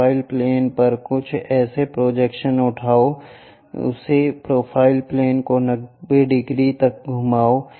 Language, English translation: Hindi, Something on the profile plane pick it the projection, rotate that profile plane by 90 degrees